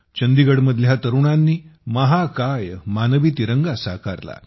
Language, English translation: Marathi, In Chandigarh, the youth made a giant human tricolor